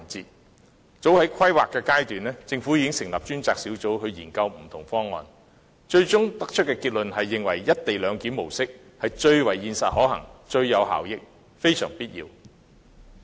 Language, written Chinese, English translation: Cantonese, 早於高鐵的規劃階段，政府已經成立專責小組研究不同方案，最終的結論認為"一地兩檢"模式最為現實可行、最有效益，非常必要。, At the planning stage of XRL the Government set up a task force to study different options and the final conclusion was that the co - location model was the most practical feasible effective and essential